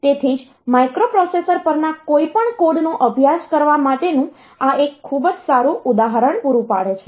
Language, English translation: Gujarati, So, that is why this makes a very good example to study any codes on microprocessors